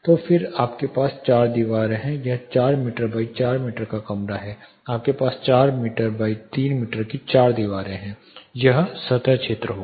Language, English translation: Hindi, So, you have four walls it is a 4 meter by 4 meter room 4 by 3 meter you have 4 walls, this will be the surface area